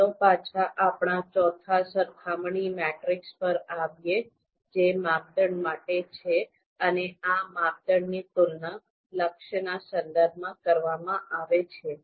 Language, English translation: Gujarati, Now let’s come back to our fourth comparison matrix that is for criteria and these criteria are to be compared with respect to goal